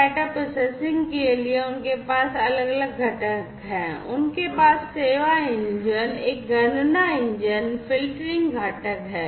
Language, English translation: Hindi, So, for data processing they have different components, they have the service engine, a calculation engine, and filtering component